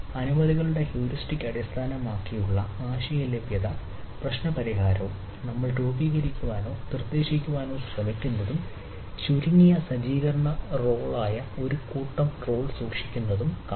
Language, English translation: Malayalam, so which are set of permissions and heuristic based idea availability problem solver, what we try to ah formulate or propose and which keeps a set of role which is a minimal set up role